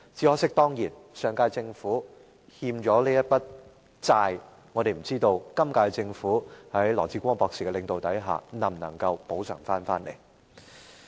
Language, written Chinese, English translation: Cantonese, 可惜，上屆政府欠下的這筆債，我們不知道本屆政府在羅致光博士的領導下能否作出補償。, Regrettably for this debt owed by the last - term Government we wonder if the current - term Government can make compensation for it under the leadership of Dr LAW Chi - kwong